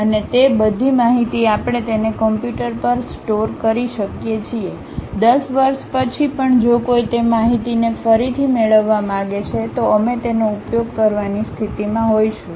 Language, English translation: Gujarati, And, all that information we can store it in the computer; even after 10 years if one would like to recover that information, we will be in a position to use that